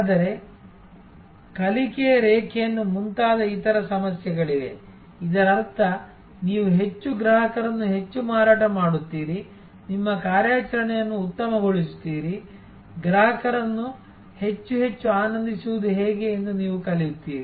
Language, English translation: Kannada, But, there are other issues like learning curve and so on, where that means, more you sale the more you customers, you get you fine tune your operations, you learn how to delight the customers more and more